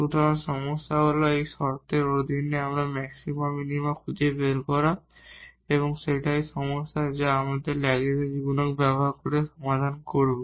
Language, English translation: Bengali, So, the problem is to find the maxima minima subject to this condition and that is the problem which we will solve using the Lagrange multiplier